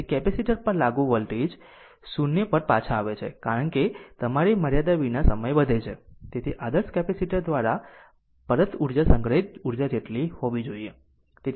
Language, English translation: Gujarati, So, the voltage applied to the capacitor returns to 0 as time increases without your limit, so the energy returned by this ideal capacitor must equal the energy stored right